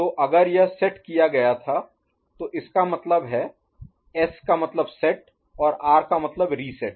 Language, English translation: Hindi, So if it was set, this now stands for S stands for set and R stands for reset